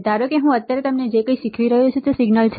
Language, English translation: Gujarati, Suppose, whatever I am right now teaching you is a signal right